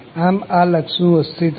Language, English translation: Gujarati, So, this limit exists